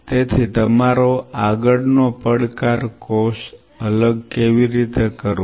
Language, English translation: Gujarati, So, your next challenge how to separate cell separation